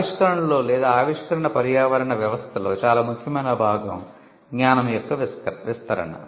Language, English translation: Telugu, The most important part in innovation or in an innovation ecosystem is diffusion of knowledge